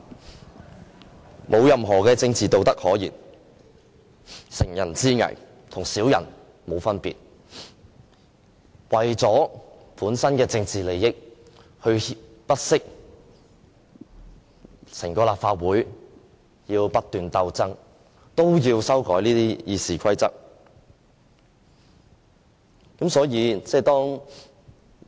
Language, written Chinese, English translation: Cantonese, 他們沒有任何政治道德可言，乘人之危，跟小人沒有分別，為了本身的政治利益，不惜令整個立法會不斷鬥爭也要修改《議事規則》。, They have no political integrity whatsoever for by amending RoP they exploit our precarious position for their own political interests even if that means constant struggles in the Legislative Council